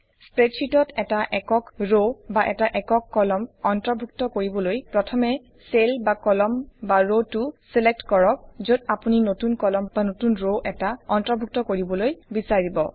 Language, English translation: Assamese, In order to insert a single row or a single column in the spreadsheet, first select the cell, column or row where you want the new column or a new row to be inserted